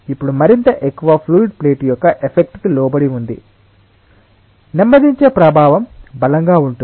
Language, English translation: Telugu, now that more and more fluid has been subjected to effect of the plate, the effect of slowing down is stronger